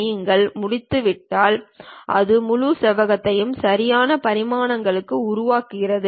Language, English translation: Tamil, If you are done, then it creates the entire rectangle with proper dimensions